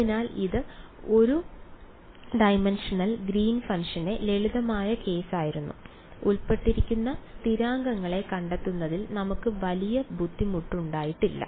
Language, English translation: Malayalam, So, this was the sort of simple case of one dimensional Green’s function; we did not have much trouble in finding out any of the constants involved